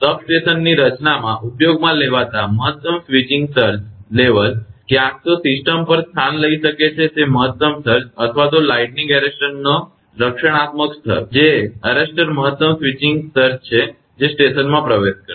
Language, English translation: Gujarati, The maximum switching surge level used in the design of a substation, is either the maximum surge that can take place on the system, or the protective level of the arrester that is lightning arrester which is the maximum switching surge the arrester will allow into the station